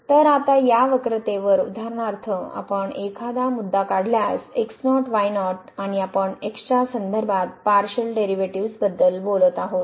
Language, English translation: Marathi, So, now, here on this curve if we take a point for example, naught naught and we are talking about the partial derivative with respect to